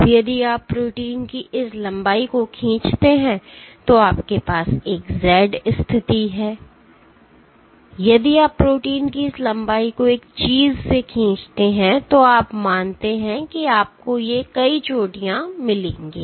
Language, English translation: Hindi, Now, if you pull this long of protein, and you have a z position, if you pull this long of protein one thing that you observe, one thing that you observe is you will get these multiple peaks